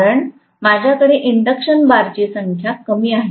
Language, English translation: Marathi, Because I have less number of induction bars